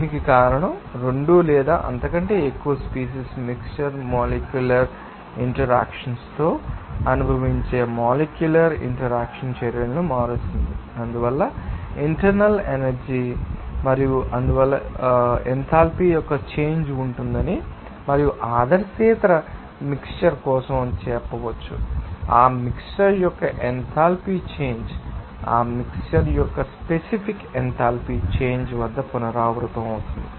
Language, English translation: Telugu, This is because of the mixing of two or more species alters the molecularity interactions which is experienced by the molecules being mixed to their does the internal energy and hence you can say that there will be a change of enthalpy and for non ideal mixture up that enthalpy change for that mixture can be repeated at specific enthalpy change of that mixture